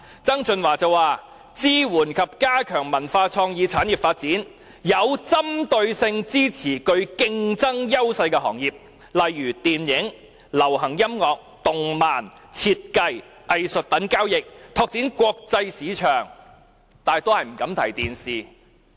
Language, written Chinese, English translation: Cantonese, 曾俊華也表示要支援及加強文化創意產業發展，有針對性地支持具競爭優勢的行業，例如電影、流行音樂、動漫、設計、藝術品交易，以期拓展國際市場，但他依然不敢提及電視。, John TSANG also indicates that we should support and enhance the development of cultural and creative industries with special target at areas with competitive advantages such as film popular music animation design art trade thereby expanding into the international market but he does not dare to mention the television industry